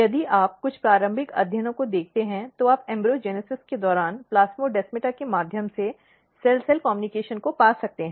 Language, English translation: Hindi, If you look some of the initial studies, then you can find that cell cell communication via plasmodesmata during embryogenesis